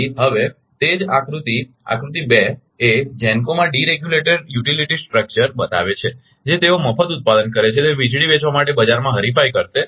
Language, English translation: Gujarati, So, that is why that figure two shows the deregulated utility structure right in figure 2 GENCOs which will compete right in a free market to sell electricity they produce right